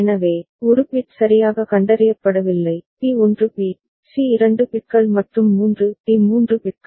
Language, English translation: Tamil, So, a means no bit has been detected properly, b 1 bit, c 2 bits and 3 d 3 bits